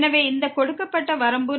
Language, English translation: Tamil, So, what is the limit here